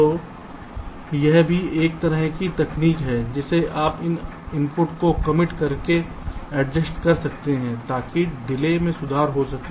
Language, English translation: Hindi, ok, so this is also one kind of a technique in which you can adjust the inputs by committing them so as to improve the delay